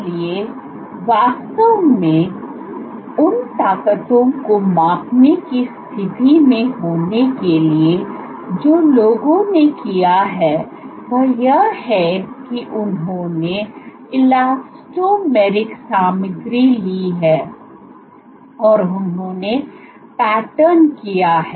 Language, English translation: Hindi, for that purpose, So, to actually be in a position to measure forces what people have done is they have taken elastomeric materials, and what you can do is you can pattern them